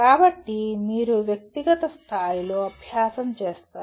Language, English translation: Telugu, So you do an exercise at individual level